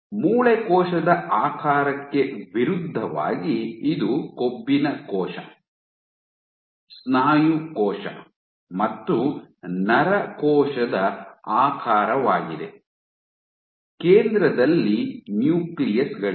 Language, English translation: Kannada, A Fat cell, this is the shape of a Fat cell, a Muscle cell, and nerve cell, versus a bone cell is you have the nuclei at the center